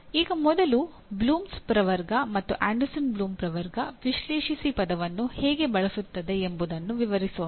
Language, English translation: Kannada, Now first let us describe how the Bloom’s taxonomy, Anderson Bloom’s taxonomy uses the word analyze